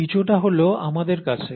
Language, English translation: Bengali, And we do, to some extent